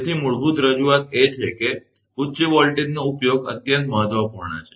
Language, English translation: Gujarati, So, basic introduction is, the use of high voltage is extremely important right